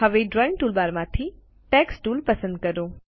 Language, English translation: Gujarati, From the Drawing toolbar, select the Text Tool